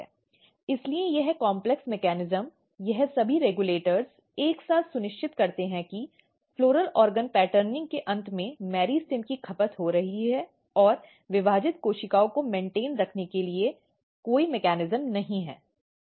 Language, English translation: Hindi, So, this complex mechanism all this regulators together ensures that, at the end of floral organ patterning the meristems are getting consumed up and there is no mechanism to maintain the dividing cells